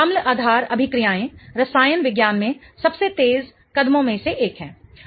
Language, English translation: Hindi, Acid and base reactions are one of the quickest steps that happen in the chemistry